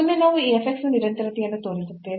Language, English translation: Kannada, So, in this case this f x is not continuous